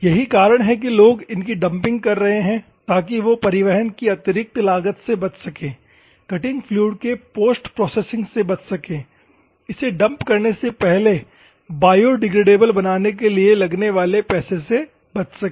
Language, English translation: Hindi, That is why people what they are doing is just dumping because to avoid the additional cost of transportation to avoid the things, to make the post processing of this cutting fluid to make it biodegradable, then dumping